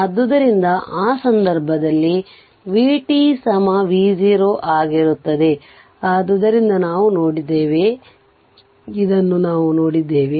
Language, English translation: Kannada, So, in that case v t will be v 0 right this ah this we have seen from that, this we have seen from that right